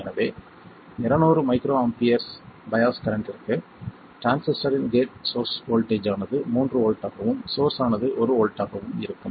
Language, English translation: Tamil, And because 200 microampure's current requires a 3 volt gate source voltage in this most transistor, the source will be at 1 volt